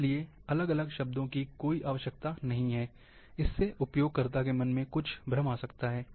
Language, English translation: Hindi, There is no need for going for all different terms, which might bring some confusions, in the users mind